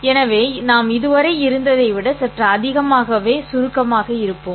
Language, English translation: Tamil, So, we will be little more abstract than we have been so far